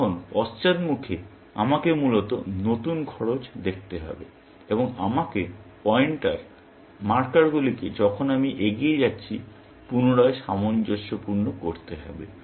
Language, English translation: Bengali, Now, in the backward face, I have to propagate the new cost up, essentially, and I have to readjust the pointers, the markers as I go along